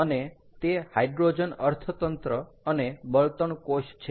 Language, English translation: Gujarati, ok, so, hydrogen economy and fuel cells